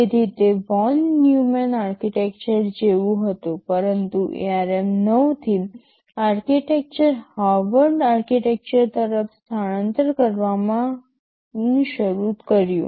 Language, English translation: Gujarati, So, it was like a von Neumann architecture, but from ARM 9 onwards the architecture became it started a shift towards Harvard architecture right